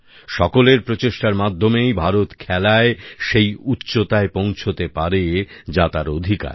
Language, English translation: Bengali, It is only through collective endeavour of all that India will attain glorious heights in Sports that she rightfully deserves